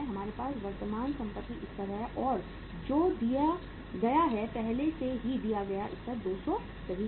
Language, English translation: Hindi, We have the current assets level and that is given, already given level is 200 right